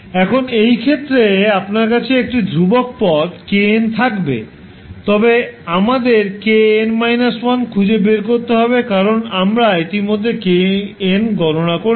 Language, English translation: Bengali, Now, in this case, you will have k n as a constant term, but we need to find out k n minus 1 because k n we have already calculated